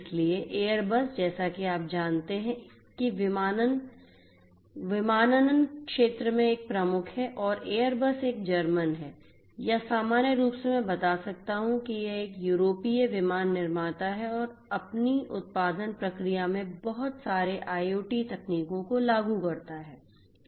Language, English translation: Hindi, So, Airbus as you know is a major pair player in the aviation sector and airbus is German and German or in general I can tell the it is an European aircraft manufacturer and it applies lot of IoT technologies in it’s production process